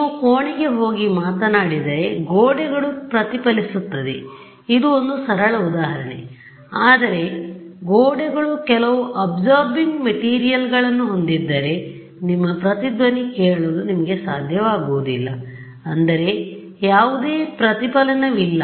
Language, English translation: Kannada, If I can somehow observe what falls on it there will be no reflection right I mean this simple example if you go to a room and you speak the walls reflect, but if the walls had some absorbing material you will not be able to hear your echo that means there is no reflection